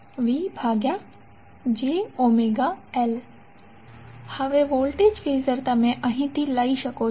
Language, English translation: Gujarati, Now, voltage Phasor you can take from here